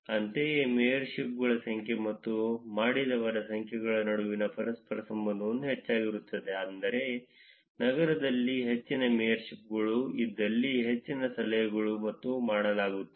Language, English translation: Kannada, Similarly, the correlation is also high between number of mayorships and the number of dones, which is if there are more mayorships there in a city that is high chance that there will more of tips and dones also